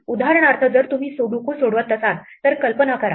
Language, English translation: Marathi, Imagine for instance if you are solving a Sudoku